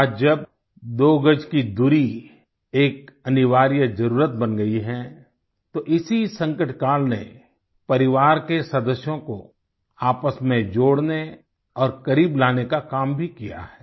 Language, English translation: Hindi, Today, when the two yard social distancing has become imperative, this very crises period has also served in fostering bonding among family members, bringing them even closer